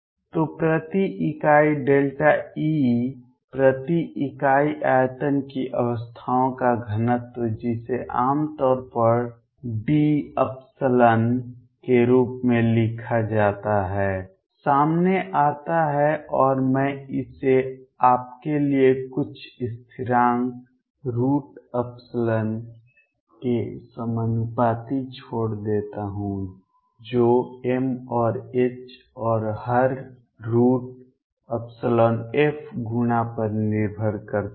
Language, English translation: Hindi, So, density of states per unit delta E per unit volume, which is usually written as epsilon comes out to be and I leave it for you proportional to sum constant which depends on m and h and everything times square root of an epsilon